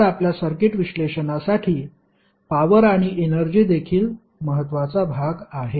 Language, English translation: Marathi, So, the power and energy is also important portion for our circuit analysis